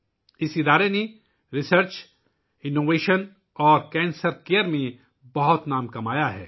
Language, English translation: Urdu, This institute has earned a name for itself in Research, Innovation and Cancer care